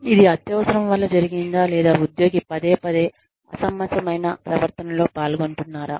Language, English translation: Telugu, Did this happen, because of an exigency, or is the employee, repeatedly engaging in unreasonable behavior